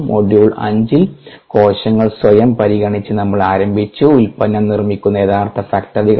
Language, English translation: Malayalam, the hm in module five we began by considering the cells themselves, the actual factories that produce the product